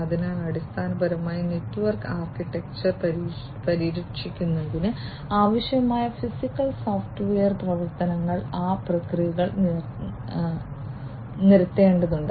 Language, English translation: Malayalam, So, basically the physical and software actions that would be required for protecting the network architecture those processes will have to be laid down